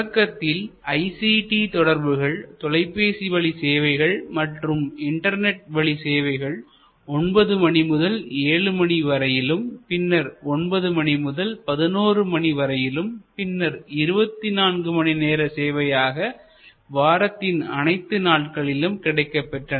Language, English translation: Tamil, So, initially all these ICT networks, telephone, internet, etc expanded the availability of service from 9 to 7 or 9, 11; it became 24 hour service, 7 days a week